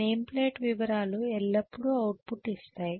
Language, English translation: Telugu, The name plate details always give the output okay